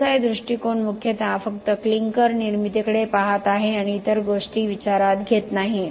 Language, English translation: Marathi, The CSI approach is mainly looking at only the clinker formation and not taking into account the other things